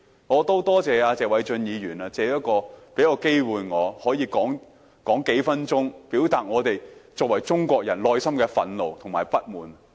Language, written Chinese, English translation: Cantonese, 我要感謝謝偉俊議員給我機會，可以發言數分鐘，表達我們作為中國人內心的憤怒和不滿。, I would like to thank Mr Paul TSE for giving me the opportunity to speak for a few minutes so as to express our rage and discontent as Chinese